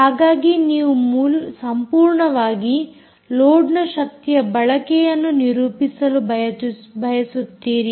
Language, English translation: Kannada, so, loads, you want to completely characterize the power consumption of the load